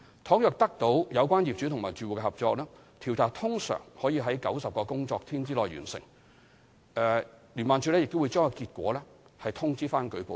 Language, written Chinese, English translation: Cantonese, 倘若得到有關業主或住戶的合作，調查通常可於90個工作天內完成，以及將結果通知舉報人。, With the cooperation of the owners or occupants concerned the investigation can normally be completed within 90 working days and the informant will be advised of the outcome